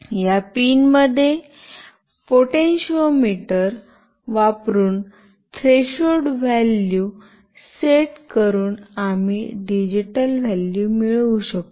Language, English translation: Marathi, In this pin, we can get a digital value by setting the threshold value using the potentiometer